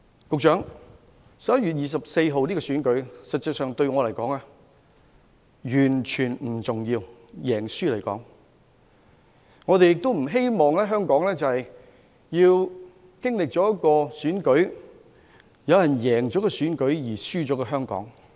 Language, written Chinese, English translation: Cantonese, 局長 ，11 月24日的選舉結果實際上對我便完全不重要，但亦不希望我們在經歷一場選舉後有人贏了，卻輸了香港。, Secretary the results of the Election on 24 November are actually not important to me at all . But I do not hope that some of us will win the election but lose Hong Kong